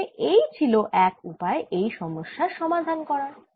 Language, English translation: Bengali, so this is one way we have solve the problem